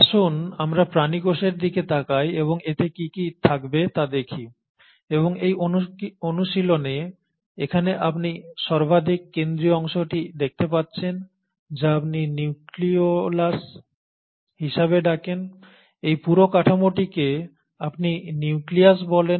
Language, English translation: Bengali, So let us look at the animal cell and what all it will contain and in this exercise you can see the central most part here is what you call as is the nucleolus, this entire structure is what you call as the nucleus